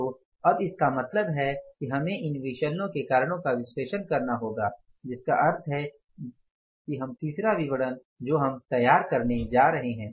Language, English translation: Hindi, So, now means we have to analyze the reasons for that variance means the third statement which we will be preparing